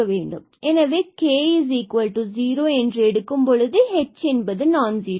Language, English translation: Tamil, So, k to 0 means this is 0 and h is non zero